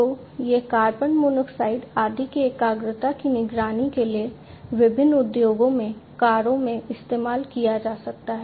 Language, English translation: Hindi, So, this can be used in cars in different industries for monitoring the concentration of carbon monoxide and so on